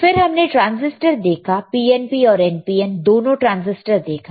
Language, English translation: Hindi, Then we have seen we have seen transistors both the transistors transistor PNP NPN transistors, right